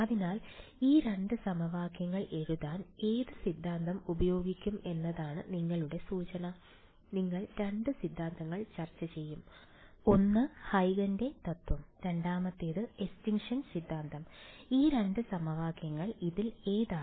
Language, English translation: Malayalam, So, your hint is which of the theorems will be used to write down these 2 equations, we will discuss 2 theorems, one was Huygens principal the second was extinction theorem these 2 equations are which ones